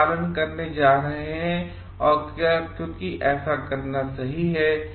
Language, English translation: Hindi, We are going to follow and because it is right to do so